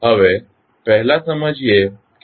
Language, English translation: Gujarati, Now, first understand what is mass